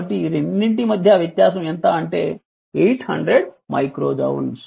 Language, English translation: Telugu, So, there is a difference of this 2 is your how much 800 micro joule